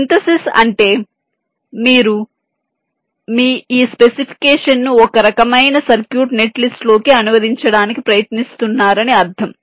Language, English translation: Telugu, synthesis means you are trying to translate your simu, your this specification, into some kind of circuit net list